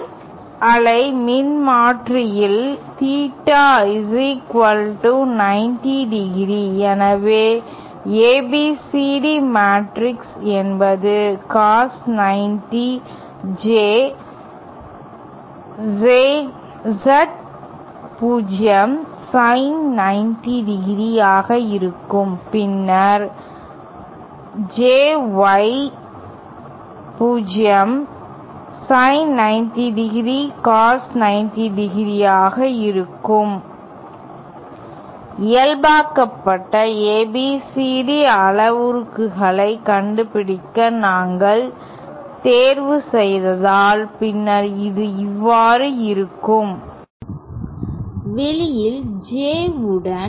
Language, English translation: Tamil, Then we know for a quarter wave transformer, theta is equal to 90¡ and therefore the ABCD matrix will be cos 90 J Z0 sin 90¡, then JY0 sin 90¡ cos 90¡ and this simply turns outÉ And if we choose to find out the normalised ABCD parameters then this would come out to, with J on the outside